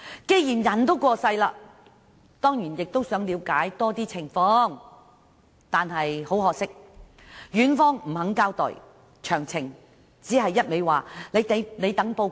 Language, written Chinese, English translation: Cantonese, 既然人已去世，家人自然想多了解有關情況，但院方不願交代詳情，要他們等候報告。, As the patient was gone it was natural for the family of the deceased to seek more information concerning the death but the hospital was reluctant to provide details and told them to wait for the report